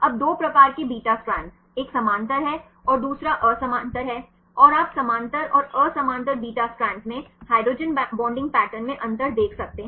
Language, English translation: Hindi, Now, 2 types of beta strands, one is parallel and the other is antiparallel right and you can see the difference in the hydrogen bonding patterns in the parallel and the anti parallel beta strands